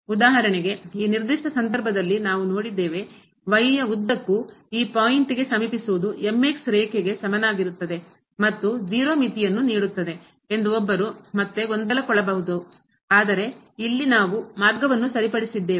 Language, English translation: Kannada, For example, we have seen in this particular case, one might again get confused that approaching to this point along is equal to line will also give limit as 0, but here we have fixed the path